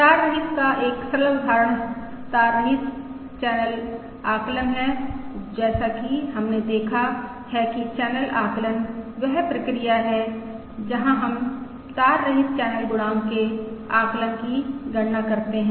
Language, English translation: Hindi, A simple example of wireless, that is, wireless wireless channel estimation, as we have seen, channel estimation is the process where we compute the estimation of the wireless channel coefficient